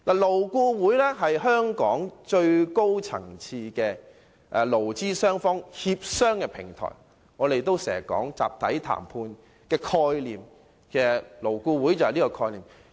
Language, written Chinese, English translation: Cantonese, 勞顧會是香港最高層次的勞資雙方協商的平台，我們經常說集體談判的概念，而勞顧會正是實踐這個概念的地方。, LAB is the highest - level body for negotiations between employers and employees in Hong Kong . As we often talk about the concept of collective bargaining LAB is exactly a platform where this concept is actualized